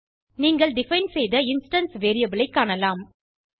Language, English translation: Tamil, You will see the instance variable you defined